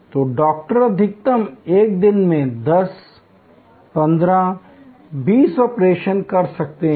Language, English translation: Hindi, So, Doctor utmost could do may be 10, 15, 20 operations in a day